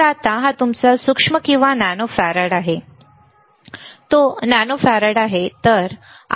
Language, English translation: Marathi, So now, it is here which is your micro or nano farad, it is nano farad